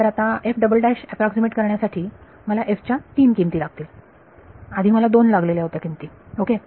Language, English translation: Marathi, But now to approximate f double prime I need 3 values of f earlier I needed 2 values ok